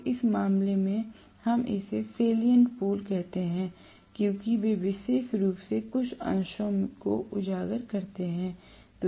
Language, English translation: Hindi, So, in which case, we call that as salient pole because they are having specifically some portions highlighted